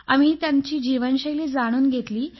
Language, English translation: Marathi, We learnt elements from their way of life, their lifestyle